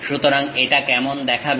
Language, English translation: Bengali, So, how it looks like